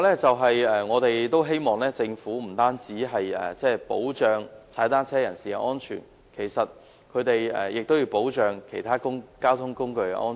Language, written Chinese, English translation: Cantonese, 此外，我們希望政府不單要保障踏單車人士的安全，也要保障其他交通工具的安全。, Moreover we hope that the Government will protect not only the safety of cyclists but also the safety of other modes of transport